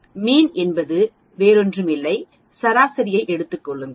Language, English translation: Tamil, Mean is nothing but taking the average